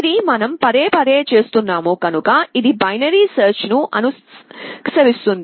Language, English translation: Telugu, This is what we are doing repeatedly and this emulates binary search